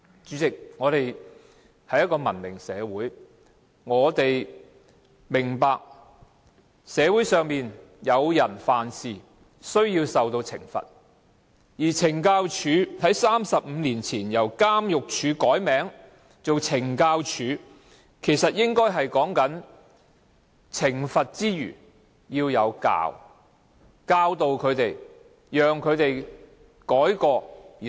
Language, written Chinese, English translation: Cantonese, 主席，香港是一個文明社會，我們明白社會上當有人犯事時，便應該受到懲罰，但懲教署在35年前由監獄署改名為懲教署，其實意思便是在懲罰以外，亦應該要教導，讓曾經犯錯的人改過自新。, President Hong Kong is a civilized society . We understand that if a person has committed an offence the person should be punished . Thirty - five years ago the Department changed its name from Prisons Department to Correctional Services Department so as to allow inmates to receive guidance apart from punishment so that they would make corrections and be rehabilitated